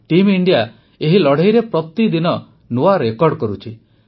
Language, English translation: Odia, Team India is making new records everyday in this fight